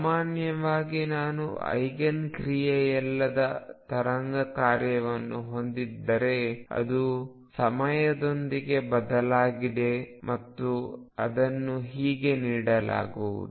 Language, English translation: Kannada, In general; however, if I have a wave function which is not an Eigen function, it is going to change with time and this is how it is going to be given